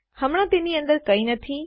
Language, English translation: Gujarati, Nothing inside them yet